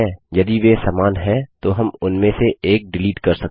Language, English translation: Hindi, If they are same then we may delete one of them